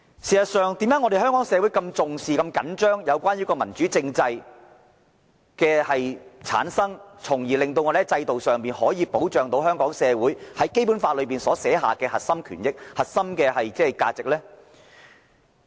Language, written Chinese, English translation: Cantonese, 為何香港社會如此重視、着緊民主政制的產生，從而在制度上可保障香港社會享有《基本法》所訂的核心權益和價值呢？, Why do Hong Kong people attach such a great deal of importance to ensuring that we would be able to enjoy the core rights interests and values provided under the Basic Law through the establishment of a democratic political system in Hong Kong?